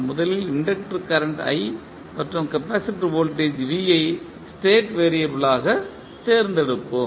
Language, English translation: Tamil, We will first select inductor current i and capacitor voltage v as the state variables